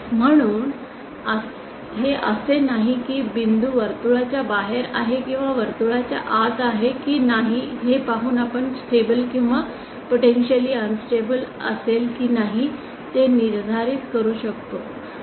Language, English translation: Marathi, Hence its not that just by seeing whether a point is outside the circle or inside the circle we can determine whether it will be stable or potentially unstable